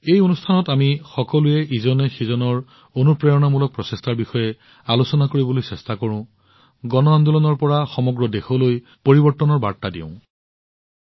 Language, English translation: Assamese, In this program, it is our endeavour to discuss each other's inspiring efforts; to tell the story of change through mass movement to the entire country